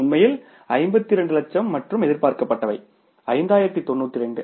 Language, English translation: Tamil, Actually is 52 lakhs and expected was 5092, say thousands